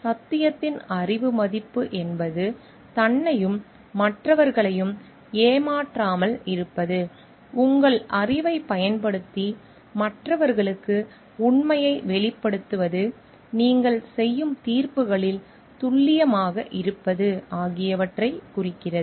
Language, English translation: Tamil, Knowledge value of truth refers to not being deceptive to self and others, using your knowledge to make truthful disclosures to others, being accurate in judgments that you make